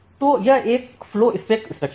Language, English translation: Hindi, So, here is a flow spec structure